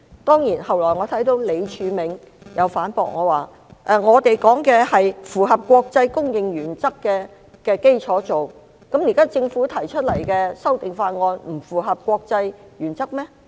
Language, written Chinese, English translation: Cantonese, 當然，後來我看到李柱銘先生反駁我，指他們所說的是在符合國際公認原則的基礎上進行，難道政府現時提出的修訂法案不符合國際原則嗎？, Of course I later saw Mr Martin LEE refute me saying that what they said was about surrendering on the basis of internationally accepted principles . Is the amendment bill currently proposed by the government not in line with internationally accepted principles? . It merely expands the jurisdiction to Macau Taiwan and the Mainland and expands the areas of cooperation